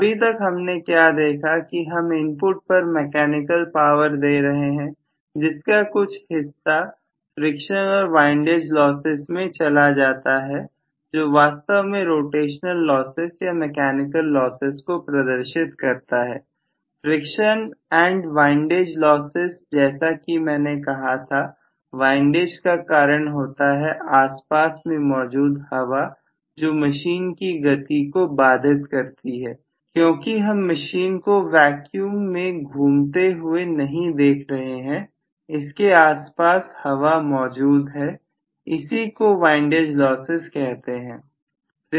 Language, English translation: Hindi, What we looked at so far is I am giving a mechanical power input some portion goes away as friction and windage losses which are actually corresponding to the rotational losses or mechanical losses, friction and windage losses as I told you friction all of you know windage is due to the wind which is surrounding it which is going to actually impede the motion because you are not really looking at the machine running in vacuum it is surrounded the air, so it is known as the windage loss